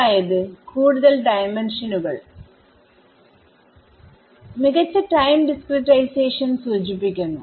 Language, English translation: Malayalam, So, higher dimensions imply finer time discretization right